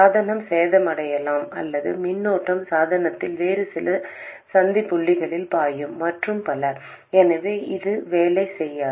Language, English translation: Tamil, Either the device could be damaged or the current will be flowing into some other junctions in the device and so on